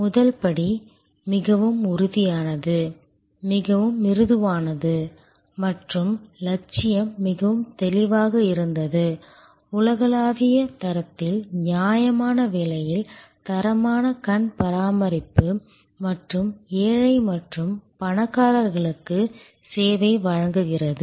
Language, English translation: Tamil, First step, very concrete, very crisp and the ambition was very clear, quality eye care at reasonable cost at global standard and provides service to rich and poor alike